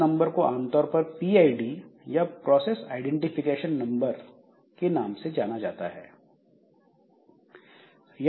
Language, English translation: Hindi, So, this is very commonly known as PID or process identification number